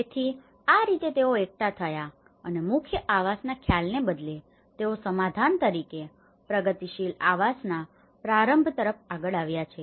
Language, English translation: Gujarati, So that is how they have come together and they have come up with rather than a core housing concept they started with a progressive housing as a solution